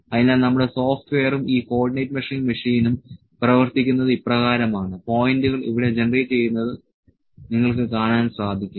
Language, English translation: Malayalam, So, this is how our software and this co ordinate measuring machine works, you can see the points are generated being generated here